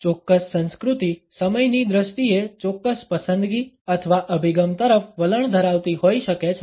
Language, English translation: Gujarati, A particular culture may be inclined towards a particular preference or orientation in terms of time